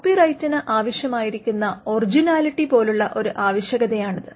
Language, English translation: Malayalam, It is a requirement like the original originality requirement in copyright